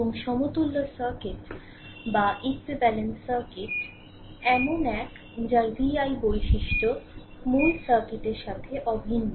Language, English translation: Bengali, And equivalent circuit is one whose v i characteristic are identical with the original circuit